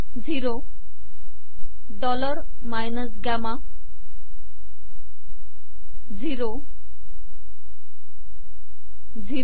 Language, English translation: Marathi, Zero, dollar minus gamma, zero, zero